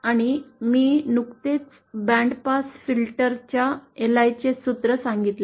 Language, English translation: Marathi, And this I just stated the formula for the LI of a band pass filter